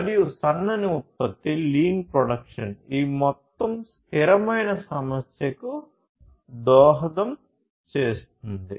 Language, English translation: Telugu, And lean production basically contributes to this overall issue of sustainability